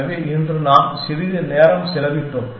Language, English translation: Tamil, So, today let us spent a